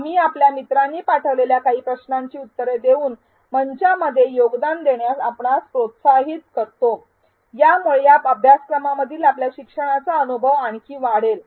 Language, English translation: Marathi, We encourage you to contribute to the forum by answering some of the questions that your peers may post, this will further enhance your learning experience in this course